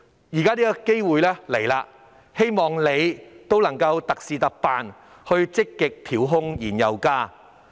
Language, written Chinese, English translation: Cantonese, 現時希望政府特事特辦，積極調控燃油價格。, I hope that the Government will handle special cases with special methods and actively regulate oil prices